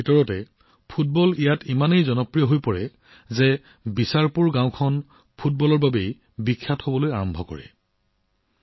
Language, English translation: Assamese, Within a few years, football became so popular that Bicharpur village itself was identified with football